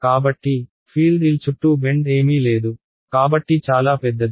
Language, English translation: Telugu, So, the field does not have anything to bend around L is so large